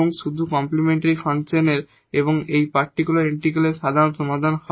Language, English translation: Bengali, And the general solution will be just the complementary function and plus this particular integral